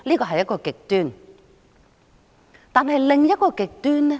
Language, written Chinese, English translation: Cantonese, 可是，又有另一個極端。, Yet there is another extreme